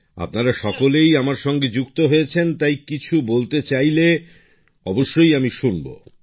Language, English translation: Bengali, All of you are connected with me, so if you want to say something, I will definitely listen